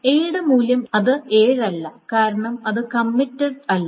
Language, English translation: Malayalam, So that means the value of A should not be 7 and it is not 7 because it has not committed